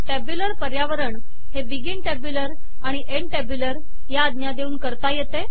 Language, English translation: Marathi, The tabular environment is created using begin tabular and end tabular commands